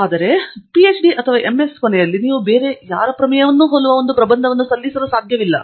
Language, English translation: Kannada, In fact, at the end of MS or PhD, you cannot submit a thesis which is similar to anybody else’s thesis